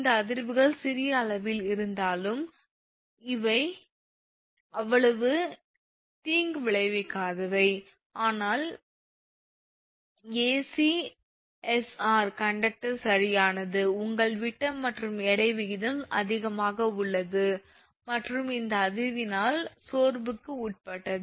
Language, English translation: Tamil, Since these vibrations as small in magnitude, but these are not that harmful, but the ACSR conductor right, has high your diameter to weight ratio and is subject to fatigue by this vibration